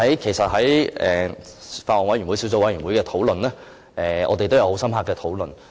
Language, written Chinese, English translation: Cantonese, 其實小組委員會對此有很深刻的討論。, Actually the Subcommittee has held in - depth discussions on this issue